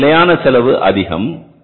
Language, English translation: Tamil, Our standard cost was high